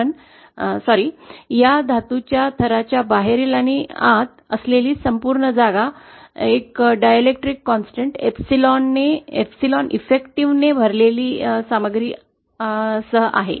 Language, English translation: Marathi, But sorry, but this entire space outside and inside of this metal layer is covered with a material having a dielectric constant epsilon effective